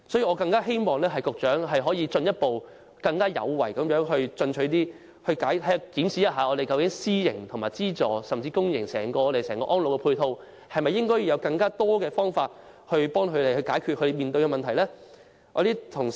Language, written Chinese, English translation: Cantonese, 我更希望局長能夠進一步更有為和更進取地檢視私營和資助院舍，甚至是整個公營安老院舍的配套，是否應採取更多方法幫助院舍解決問題呢？, What is more I hope the Secretary can further review private and subsidized RCHEs and even the overall support for the public - sector RCHEs in a more pro - active and aggressive manner to determine if more measures should be taken to resolve the problems faced by RCHEs